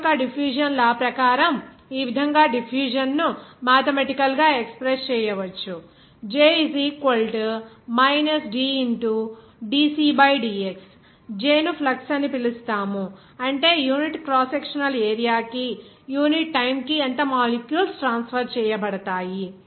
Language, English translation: Telugu, As per Fick’s law of diffusion, you can say that the diffusion can be mathematically expressed as where J is called flux that is how much molecules will be transferred per unit time per unit crosssectional area